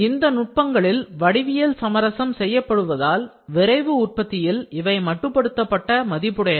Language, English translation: Tamil, These are of limited value in rapid manufacturing since the geometry is compromised by these techniques